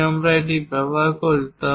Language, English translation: Bengali, If we are using 2